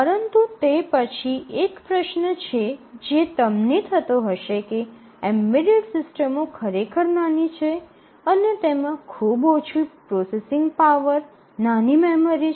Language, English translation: Gujarati, But then one question that you have might in mind is that embedded systems are really small and they have very little processing power, small memory